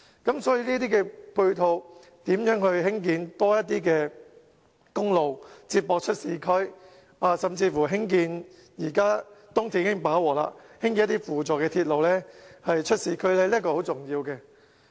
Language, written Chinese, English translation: Cantonese, 所以，對於這些配套，如何興建更多公路接駁市區，甚至在目前東鐵已經飽和的情況下，興建一些輔助鐵路出市區，這是很重要。, So with regard to these infrastructure facilities it is important that more highways are constructed to connect to the urban areas . The Government may even have to consider building some ancillary railways to connect to the urban districts as the East Rail Line is already saturated